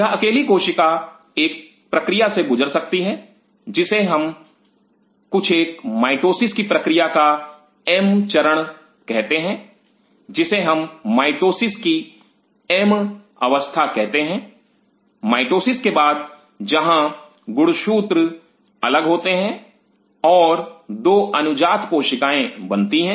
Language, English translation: Hindi, This individual cell has can go through something called a process of mitosis M phase what we call as the mitosis is the M phase after the mitosis where the chromosome separates out and the 2 daughter cells are formed